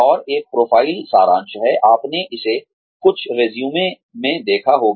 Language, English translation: Hindi, And, a profile summary is, you must have seen this, in some resumes